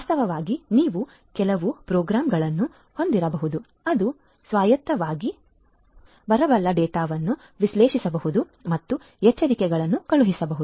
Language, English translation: Kannada, In fact, you could have some programmes which can autonomously which can analyze the data that are coming in and can send alerts